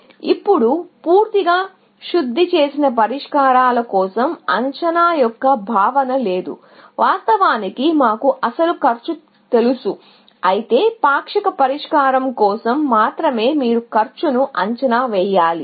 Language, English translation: Telugu, Now, for fully refined solutions, there is no notion of estimate; you actually, know the actual cost, whereas, only for partial solution you have to estimate cost